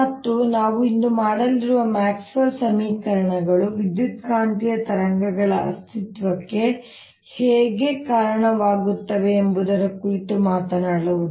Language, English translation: Kannada, will be talking about maxwell equations, and what we going to do today is talk about how maxwell's equations lead to existence of electromagnetic wave